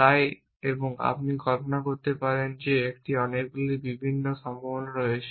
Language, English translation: Bengali, Hence and you can imagine that a there are many different possibilities